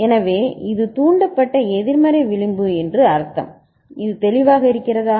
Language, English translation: Tamil, So that means it is a negative edge triggered is it clear